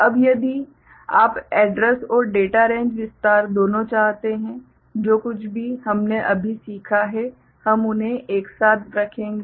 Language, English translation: Hindi, Now, if you want both address and data range expansion; whatever we have learnt just now we shall put them together